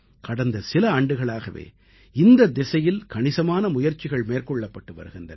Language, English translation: Tamil, In our country during the past few years, a lot of effort has been made in this direction